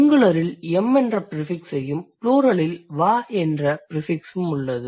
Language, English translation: Tamil, In the singular also you have a prefix, and in the plural also you have a prefix wa